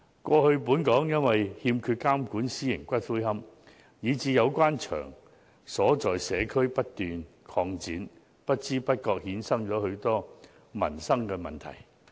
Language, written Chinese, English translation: Cantonese, 過去本港欠缺監管私營龕場，以致有關場所在社區不斷擴展，不知不覺衍生許多民生問題。, As there was a lack of regulation of private columbaria in Hong Kong these columbaria have been expanding in the community giving rise to many livelihood problems without our being aware of them